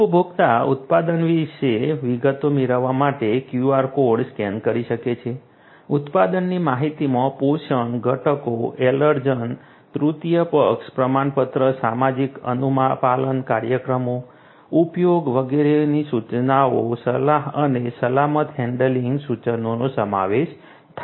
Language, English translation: Gujarati, Consumers can scan the QR code to get details about the product; the product information includes nutrition, ingredients, allergens, third party certification, social compliance programs, usage instructions, advisories and also safe handling instruction